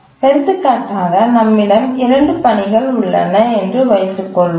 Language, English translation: Tamil, Let's assume that we have two tasks